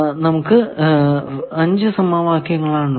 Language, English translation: Malayalam, This we are calling first equation